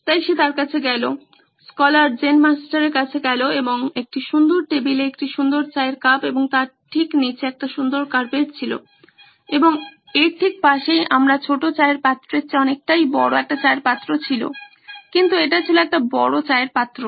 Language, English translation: Bengali, So he approached, the scholar approached the Zen Master and there was a lovely tea cup on a beautiful table and a lovely carpet right underneath that and right next to it was a tea pot much bigger than my little tea pot here but it was a bigger tea pot